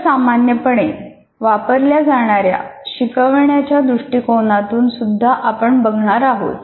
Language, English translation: Marathi, And we also look at some commonly used instructional approaches